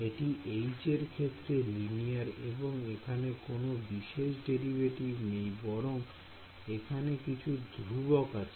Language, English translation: Bengali, Is it linear in H it is linear in H there are no special derivatives or anything right there is some there are some other constants over there